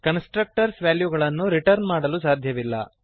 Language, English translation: Kannada, Constructors cannot return values